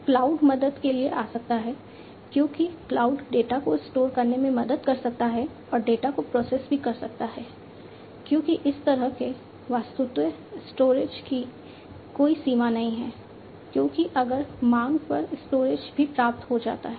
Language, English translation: Hindi, Cloud can come to the help, because cloud can help in storing the data and also processing the data, because there is as such virtually there is no limit on the storage because if everything the storage is also obtained on demand